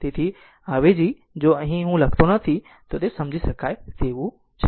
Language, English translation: Gujarati, So, upon substitution if I am not writing here it is understandable